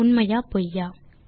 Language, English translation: Tamil, Is it True or False